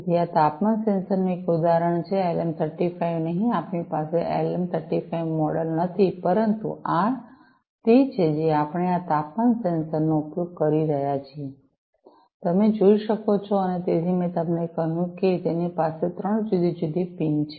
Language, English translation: Gujarati, So, this is an example of a temperature sensor not the LM 35, we do not have the LM 35 model, but this is the one we are using this temperature sensor as you can see and so, I told you that it has three different pins, right